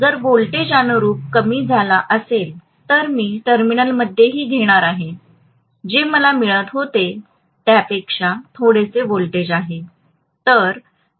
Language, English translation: Marathi, If the voltage is decreased correspondingly I am going to have in the terminal also, a little less voltage than what I was getting